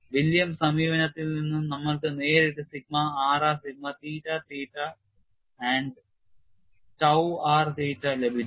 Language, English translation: Malayalam, From the Williams approach, we have directly got sigma r r sigma theta theta and tau r theta